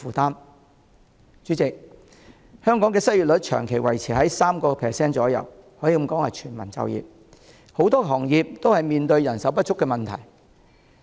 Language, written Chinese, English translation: Cantonese, 代理主席，香港的失業率長期維持約 3%， 可以說是全民就業，很多行業都面對人手不足的問題。, Deputy President as the unemployment rate in Hong Kong remains at around 3 % over a prolonged period of time which is widely regarded as a state of full employment